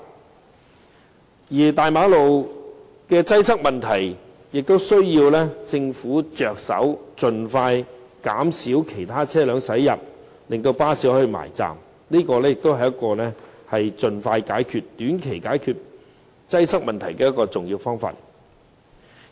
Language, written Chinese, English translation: Cantonese, 至於元朗大馬路的擠塞問題，也需要由政府着手，盡快減少其他車輛駛入，使巴士可以順利靠站，這也是一個在短期盡快解決交通擠塞的重要方法。, The Government should also tackle the traffic congestion issue at Yuen Long Main Road by reducing the influx of vehicles other than buses as soon as possible so that buses could get inside the bus stops smoothly . This is also an important way to address the traffic congestion issue within a short period of time